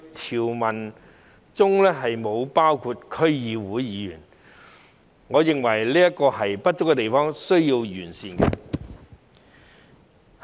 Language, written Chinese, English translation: Cantonese, 條文並不包括區議員，我認為這是不足的地方，須予完善。, District Council DC members are not included in this provision . In my view this is not adequate and has to be addressed